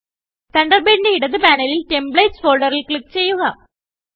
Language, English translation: Malayalam, From the Thunderbird left panel, click the Templates folder